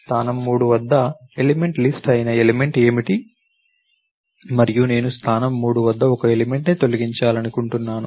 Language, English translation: Telugu, At position 3, what is the element that is the element list, delete and I want to delete an element at the position 3